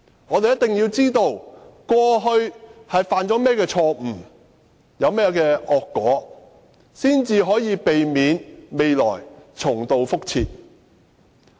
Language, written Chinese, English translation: Cantonese, 我們一定要知道過去犯了甚麼錯誤，招致甚麼惡果，才能夠避免將來重蹈覆轍。, In order not to repeat the same mistake in the future we must find out the mistakes made in the past and the negative consequences incurred